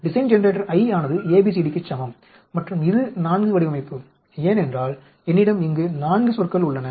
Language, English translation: Tamil, Design generator I is equal to ABCD and this is a 4 design because I have 4 terms here